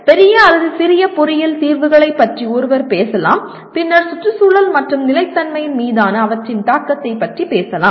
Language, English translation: Tamil, One can talk about either bigger ones or smaller engineering solutions we can talk about and then and then talk about their impact on environment and sustainability